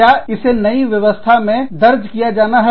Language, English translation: Hindi, Does it have, to be entered into the new system